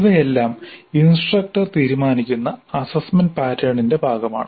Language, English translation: Malayalam, Now these are all part of the assessment pattern which is decided by the instructor